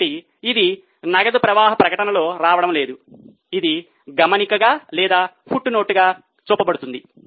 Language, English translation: Telugu, So, it is not coming in the cash flow statement, it will be shown as a note or as a footnote